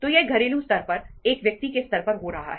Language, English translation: Hindi, So itís itís happening at the household level, at single individualís level